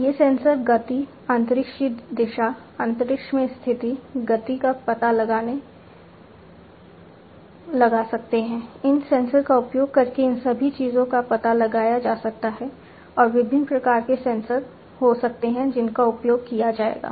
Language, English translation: Hindi, These sensors can detect the motion the direction in space, motion, space, you know, the position in space, all these things can be detected using these sensors and there could be different )different) types of sensors that would be used